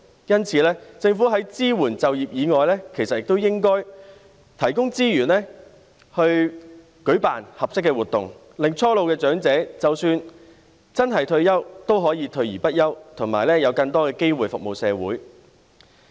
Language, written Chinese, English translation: Cantonese, 因此，政府在支援就業以外，其實也應該提供資源去舉辦合適的活動，令初老長者即使真的退休，也可以退而不休，有更多機會服務社會。, For this reason apart from providing support in employment the Government should also provide resources for organization of more suitable activities so that when young elderly persons really retire they can still remain active and have more opportunities of serving society